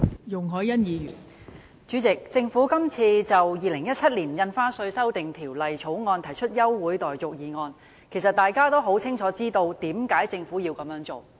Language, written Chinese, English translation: Cantonese, 代理主席，政府今次就《2017年印花稅條例草案》提出休會待續的議案，其實大家也清楚知道為何政府要這樣做。, Deputy Chairman the Government moved a motion to adjourn the proceedings of the Stamp Duty Amendment Bill 2017 the Bill . Actually everyone knows clearly the reasons behind